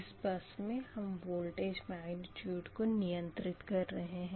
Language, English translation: Hindi, so bus four, that voltage magnitude is specified